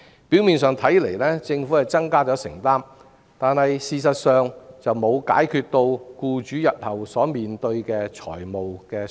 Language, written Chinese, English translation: Cantonese, 表面上來看，政府是增加了承擔，但事實上卻沒有解決僱主日後所面對的財務負擔。, On the surface the Government has increased its commitment but in essence it does nothing to solve the financial burden falling on employers in the future